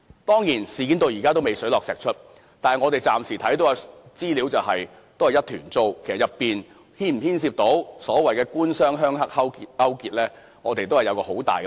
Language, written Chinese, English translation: Cantonese, 當然，事件至今仍未水落石出，但我們暫時所見的資料仍是一團糟，當中是否牽涉所謂的"官商鄉黑"勾結，我們仍存很大疑問。, Of course the scandal has not been clarified hitherto . Nevertheless the information that we can see at this moment is still quite confusing and we are still highly sceptical whether government - business - landlord - triad collusion is involved